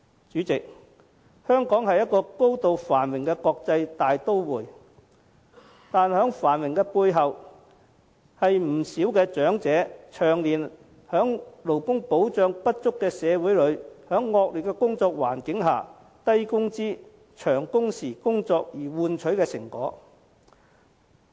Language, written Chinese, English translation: Cantonese, 主席，香港是高度繁榮的國際大都會，但在繁華背後卻是不少長者長年在勞工保障不足的社會、惡劣的工作環境下從事低工資、長工時的工作換取的成果。, President Hong Kong is an international metropolis with a high degree of prosperity . But such prosperity is built on many elderly people doing low - pay jobs of long hours in our society with inadequate labour protection and a poor working environment over the years